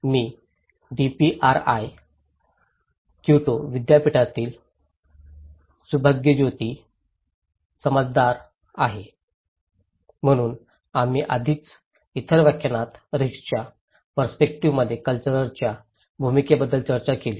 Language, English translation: Marathi, I am Subhajyoti Samaddar from DPRI, Kyoto University so, we already discussed in other lectures about the role of culture in risk perceptions